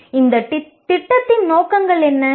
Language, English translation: Tamil, What are the aims of this program